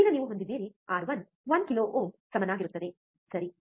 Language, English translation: Kannada, Now given that you are have, R 1 equals to 1 kilo ohm this one, right